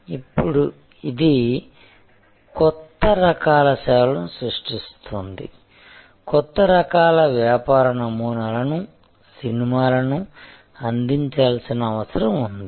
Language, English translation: Telugu, It is now creating a plethora of new types of services, new types of business models need for delivery of movies